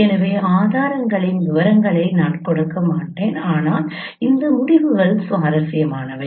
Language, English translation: Tamil, So, I will not give the details of the proofs but this results are interesting